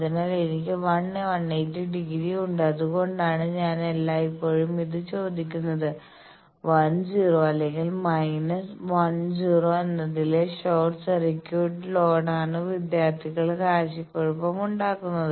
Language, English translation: Malayalam, So, I have 1, 180 degree; that means, it is which end that is why I always I ask this confusion to student is the short circuit load at 1 0 or minus 1 0